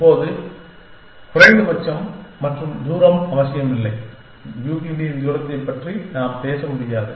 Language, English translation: Tamil, Now, at least and distance is do not necessarily, we are not necessarily we cannot talk of Euclidean distance